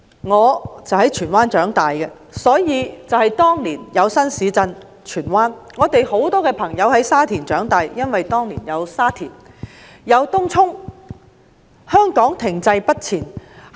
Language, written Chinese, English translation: Cantonese, 我在荃灣區長大，正值當年有荃灣新市鎮的規劃；我有很多朋友在沙田長大，因為當年有沙田新市鎮的發展。, I grew up in Tsuen Wan at a time when the planning of the Tsuen Wan new town was implemented . I have many friends who grew up in Sha Tin because of the development of the Sha Tin new town at the time